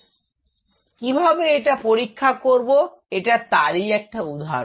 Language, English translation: Bengali, So, how to test it here is an example